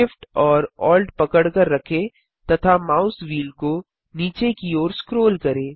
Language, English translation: Hindi, Hold Shift, Alt and scroll the mouse wheel downwards